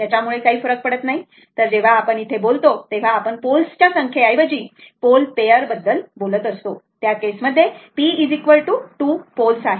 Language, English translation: Marathi, So, it is, it may be more also, it does not matter, so when we are talking here, we talk pair of poles instead of number of pole, if you say number of pole then in this case, it is p is equal to 2 pole